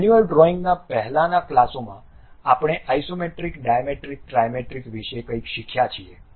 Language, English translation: Gujarati, In the earlier classes at manual drawing we have learned something about Isometric Dimetric Trimetric